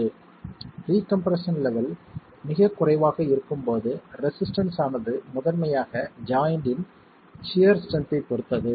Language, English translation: Tamil, When pre compression levels are very low, the resistance is going to depend primarily on the sheer strength of the joint itself